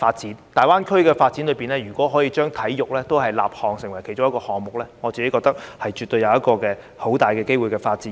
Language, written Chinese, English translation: Cantonese, 如果大灣區的發展，可以把體育立項成為一個項目，我認為絕對有很大的發展機會。, As GBA develops if sports can be promoted as an independent project it will certainly have huge room for development